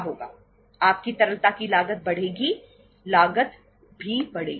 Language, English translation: Hindi, Your cost of your liquidity will increase, cost will also increase